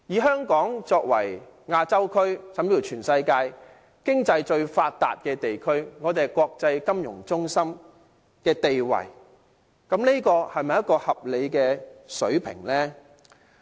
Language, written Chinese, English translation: Cantonese, 香港作為亞洲甚至是全世界經濟最發達的地區，擁有國際金融中心的地位，這是否一個合理的水平呢？, Hong Kong is the most economically developed region in Asia or even worldwide and holds the status as an international financial centre . Is this a reasonable rate?